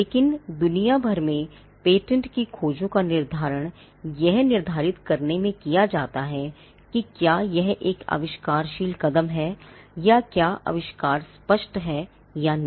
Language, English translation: Hindi, But patentability searches throughout the world are directed in determining whether there is inventive step, or whether the invention is obvious or not